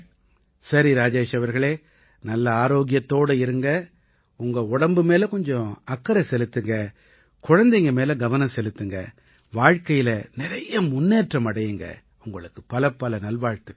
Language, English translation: Tamil, Alright, Rajesh ji, keep yourself healthy, worry a little about your body, take care of the children and wish you a lot of progress